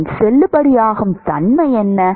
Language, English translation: Tamil, What is its validity